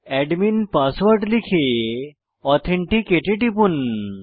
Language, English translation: Bengali, Enter your admin password and click on Authenticate